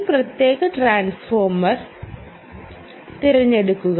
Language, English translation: Malayalam, find out that, then choose this particular transformer